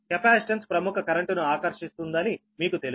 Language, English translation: Telugu, you know that capacitance draws a leading current